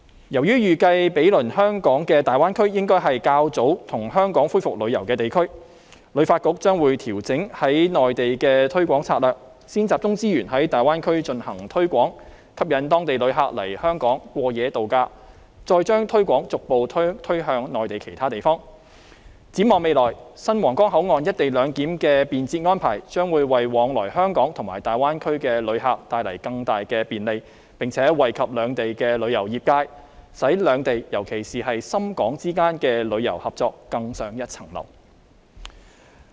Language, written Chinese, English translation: Cantonese, 由於預計毗鄰香港的大灣區應該是較先跟香港恢復旅遊的地區，旅發局將會調整在內地的推廣策略，先集中資源在大灣區進行推廣，吸引當地旅客來香港過夜度假，再將推廣逐步推向內地其他地方，展望未來新皇崗口岸"一地兩檢"的便捷安排，將會為往來香港和大灣區的旅客帶來更大便利，並且惠及兩地的旅遊業界，使兩地尤其是深港之間的旅遊合作更上一層樓。, As we anticipate that the neighbouring Greater Bay Area will be among the first to resume tourism activities with Hong Kong the Hong Kong Tourism Board will adjust its promotional strategy on the Mainland by pooling its resources in the Greater Bay Area for promotional purpose first in order to attract people from the Greater Bay Area to spend their vacations and stay overnight in Hong Kong . The next step is to further promote Hong Kong to other Mainland cities . We envisage that in future the convenient co - location arrangement at the new Huanggang Port will bring great convenience to visitors travelling between Hong Kong and the Greater Bay Area which will also benefit the tourism industries on both sides and further enhance the tourism cooperation between the two places in particular Hong Kong and Shenzhen